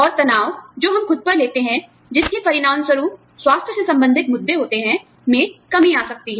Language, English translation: Hindi, And, the stress, we take on ourselves, that can result in health related issues, comes down